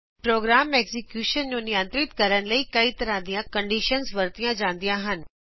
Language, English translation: Punjabi, Different conditions are used to control program execution